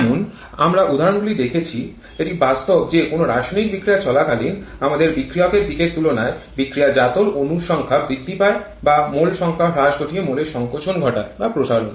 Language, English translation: Bengali, Like we have seen the examples it is possible that during a chemical reaction we can have an increase in the number of molecules on the product side compared to the reactant side or a decrease in the number of molecules leading to molecular contraction or expansion